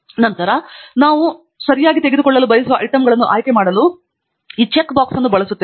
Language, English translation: Kannada, And then, we use these check boxes to select items that we want to pick up ok